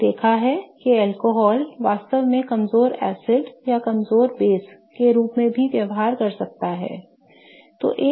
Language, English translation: Hindi, We have seen that alcohols can really behave as weak acids or weak bases as well